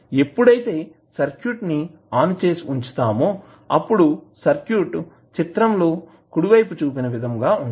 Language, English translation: Telugu, When you switch on the circuit it will be the circuit like shown in the figure